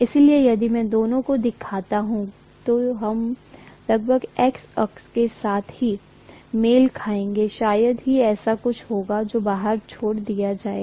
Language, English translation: Hindi, So if I show both of them, this will almost coincide with the X axis itself, there will be hardly anything that will be left out, right